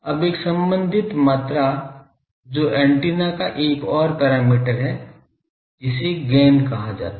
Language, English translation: Hindi, Now, a related ah quantity that is the another parameter of antenna , that is called Gain